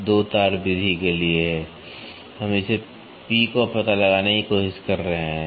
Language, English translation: Hindi, So, this is for a 2 wire method, we are trying to find out this P